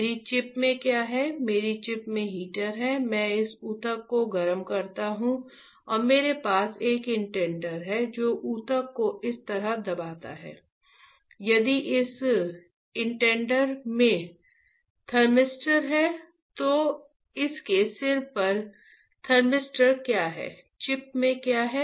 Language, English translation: Hindi, I, what is there in my chip, my chip has a heater I heat this tissue and I have a indenter something that presses the tissue like this, If this indenter has a thermistor what it has thermistor at the tip, what is the chip having